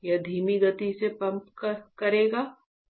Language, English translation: Hindi, It will pump slower, what will happen